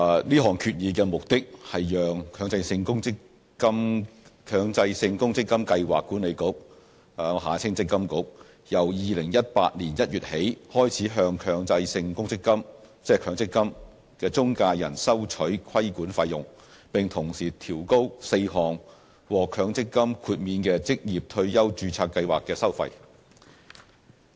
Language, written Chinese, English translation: Cantonese, 這項議案的目的是讓強制性公積金計劃管理局由2018年1月起開始向強制性公積金中介人收取規管費用，並同時調高4項獲強積金豁免的職業退休註冊計劃的收費。, This resolution seeks to enable the Mandatory Provident Fund Schemes Authority MPFA to charge Mandatory Provident Fund MPF intermediaries regulatory fees starting from January 2018 and also to raise four fees relating to MPF exempted occupational retirement schemes